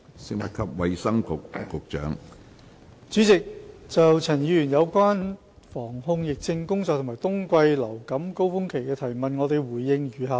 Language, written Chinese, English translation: Cantonese, 主席，就陳沛然議員有關防控疫症工作和冬季流感高峰期的質詢，我回應如下。, President my reply to the question raised by Dr Pierre CHAN about the prevention and control of epidemics and influenza winter surge is set out below